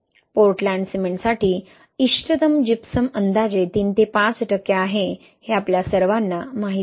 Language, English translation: Marathi, We all know that optimal Gypsum for Portland cement is roughly around three to five percent, right